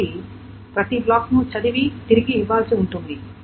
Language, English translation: Telugu, So for each block may be need to be read and written